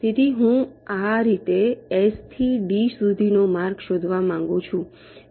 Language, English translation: Gujarati, so i want to find out a path from s, two d like this